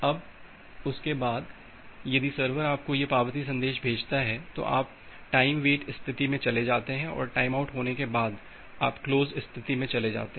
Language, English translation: Hindi, Now, after that if the server sends this acknowledgement message to you, then you move to the time wait state and after the time out occurs, you move to the close state